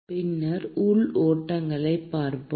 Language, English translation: Tamil, And then we will look at internal flows